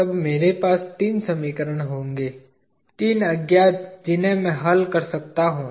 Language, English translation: Hindi, Then I will have three equations, three unknowns that I can solve for